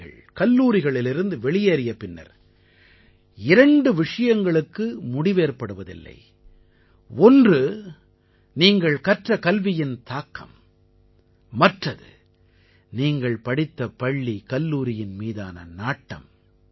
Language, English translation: Tamil, After leaving school or college, two things never end one, the influence of your education, and second, your bonding with your school or college